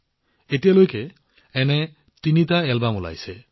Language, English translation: Assamese, So far, three such albums have been launched